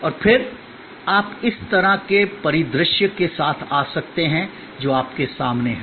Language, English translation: Hindi, And then, you might come up with this kind of a scenario which is in front of you